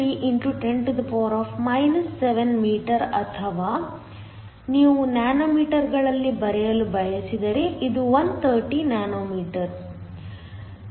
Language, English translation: Kannada, 3 x 10 7 m or if you want to write in nanometers 130 nanometers